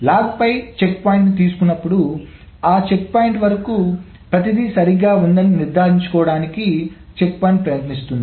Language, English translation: Telugu, Checkpointing essentially is trying to make sure that whenever a checkpoint is being taken on the log, everything up to the checkpoint is correct